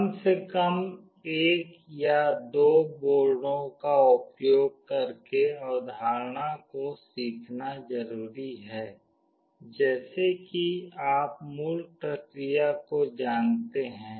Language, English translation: Hindi, It is important to learn the concept using at least one or two boards, such that you know the basic process